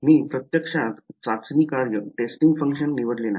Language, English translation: Marathi, I did not actually choose a testing function right